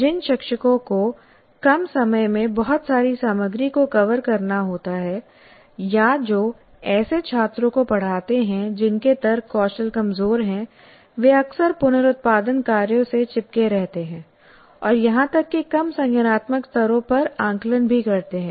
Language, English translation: Hindi, First of all, teachers who must cover a great deal of material in little time or who teach students whose reasoning skills are weak, often stick to reproduction tasks and even have assessments at lower cognitive levels